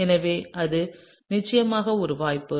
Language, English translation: Tamil, So, that’s definitely a possibility